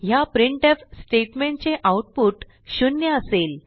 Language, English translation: Marathi, This printf statements output is 0